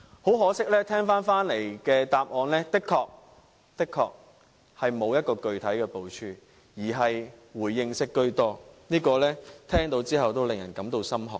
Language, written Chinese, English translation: Cantonese, 很可惜，我聽回來的答案確實是沒有具體部署，而是回應式居多，聽到也使人感到心寒。, To my regret I was given an answer that there is truly no specific plan and the Government simply responses to the complaints . I cannot help but feel deeply worried about this